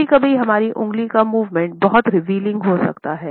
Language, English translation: Hindi, Sometimes our finger movements can be very revealing